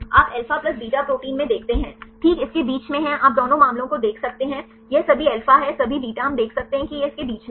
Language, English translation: Hindi, You look in to alpha plus beta proteins right there is in between right you can see both the cases this is the all alpha is all beta we can see it is in between that